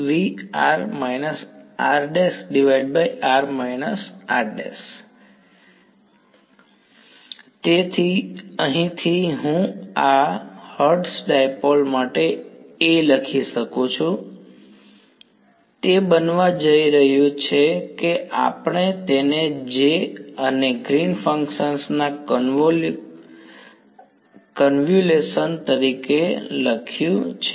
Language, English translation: Gujarati, So, from here I can write down A for this Hertz dipole, it is going to be we have written it as the convolution of J and G 3D